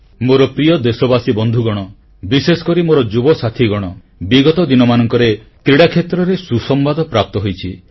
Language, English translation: Odia, My dear countrymen, especially my young friends, we have been getting glad tidings from the field of sports